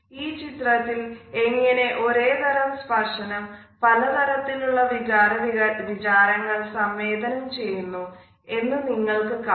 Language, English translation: Malayalam, In the visuals you can look at how the same touch can convey different attitudes and emotions to people